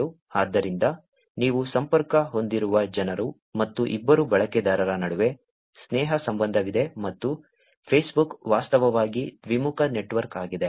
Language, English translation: Kannada, So, the people that you are connected with and there is an edge between the two users which is the friendship relationship and Facebook is actually a bidirectional network